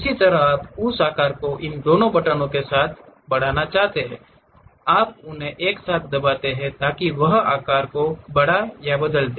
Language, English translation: Hindi, Similarly, you want to increase that size use these two buttons together, you press them together so that it enlarges or change the size